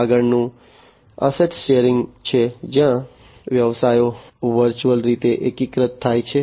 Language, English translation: Gujarati, The next one is the asset sharing model, where the businesses virtually consolidate